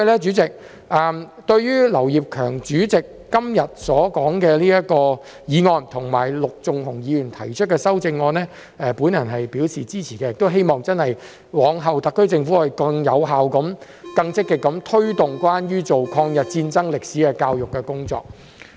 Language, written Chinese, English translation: Cantonese, 主席，對於劉業強議員今天提出的議案及陸頌雄議員提出的修正案，我表示支持，亦希望日後特區政府真的會更有效及更積極地推動關於抗日戰爭歷史的教育工作。, President I support the motion proposed by Mr Kenneth LAU and the amendment proposed by Mr LUK Chung - hung today . I also hope that the SAR Government will really promote education on the history of the War of Resistance more effectively and actively in future